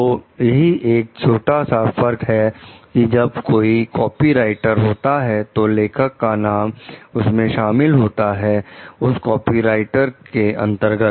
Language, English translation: Hindi, So, that is the slight difference like when; there is a copyright, the author s name is included in the copyright